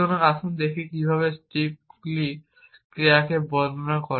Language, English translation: Bengali, So, let us look at how strips describes actions